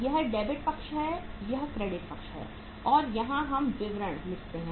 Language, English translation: Hindi, This is the debit side, this is the credit side and here we write particulars